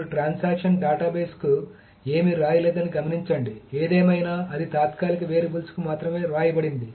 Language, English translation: Telugu, Now actually notice that the transaction has not written anything to the database anyway, it has written only to the temporary variables